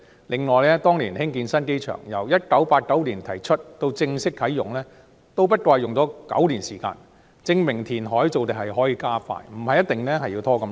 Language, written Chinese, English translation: Cantonese, 另外，當年興建新機場，由1989年提出到正式啟用，只不過用了9年時間，證明填海造地可以加快，不一定要拖這麼久。, Moreover the construction of the new airport back then from the proposal in 1989 to the official opening took nine years only . All these examples that reclamation can actually be accelerated and does not have to drag on for so long